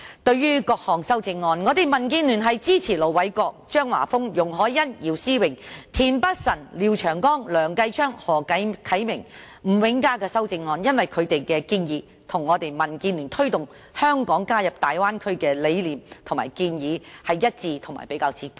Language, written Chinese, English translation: Cantonese, 對於各項修正案，民建聯支持盧偉國議員、張華峰議員、容海恩議員、姚思榮議員、田北辰議員、廖長江議員、梁繼昌議員、何啟明議員和吳永嘉議員的修正案，因為他們的建議與民建聯推動香港加入大灣區的理念和建議一致，而且比較接近。, Regarding the various amendments DAB supports the amendments proposed by Ir Dr LO Wai - kwok Mr Christopher CHEUNG Ms YUNG Hoi - yan Mr YIU Si - wing Mr Michael TIEN Mr Martin LIAO Mr Kenneth LEUNG Mr HO Kai - ming and Mr Jimmy NG because their recommendations are consistent with and closer to DABs rational and proposal of promoting Hong Kongs participation in the Bay Area